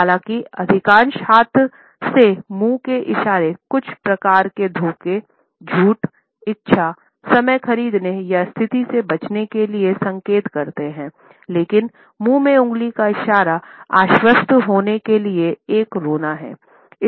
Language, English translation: Hindi, Even though, most hand to mouth gestures indicate some type of a deception, some type of a lying, some type of a desire, to buy time or to avoid the situation, but this finger in mouth gesture is an open cry for reassurance